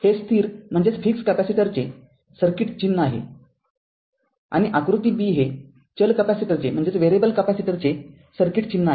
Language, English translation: Marathi, And this is circuit symbol fixed, this is for fixed and this is for figure b for variable capacitor right